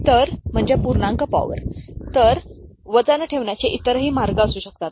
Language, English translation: Marathi, So, there can be other way of putting weights